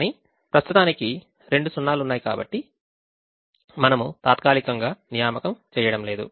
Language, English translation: Telugu, but at the moment, if there are two zeros, we temporarily not make an assignment and proceed